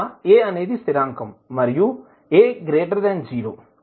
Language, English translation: Telugu, So, a is constant and a is greater than 0